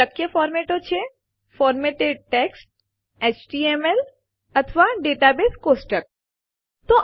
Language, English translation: Gujarati, Possible formats are Formatted text, HTML or a Data Source Table